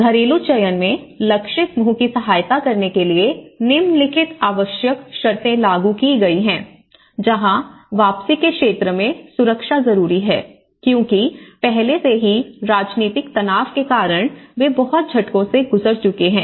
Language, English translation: Hindi, In the household selection, in assisting target group one, the following prerequisites has been applied where the security in the area of return, because the first and prior most is because already they have been undergoing a lot of shocks because of the political stresses